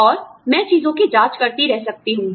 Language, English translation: Hindi, And, I can keep checking things off